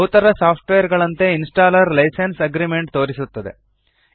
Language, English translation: Kannada, As with most softwares, the installer shows a License Agreement